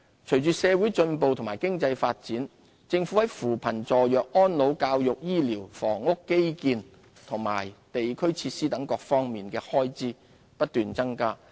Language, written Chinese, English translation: Cantonese, 隨着社會進步和經濟發展，政府在扶貧、助弱、安老、教育、醫療、房屋、基建和地區設施等各方面的開支不斷增加。, With social advancement and economic development the Government will continue to increase expenditure in social welfare education health care housing supply infrastructure and district facilities etc